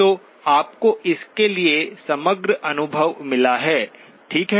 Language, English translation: Hindi, So you have got the overall feel for it, okay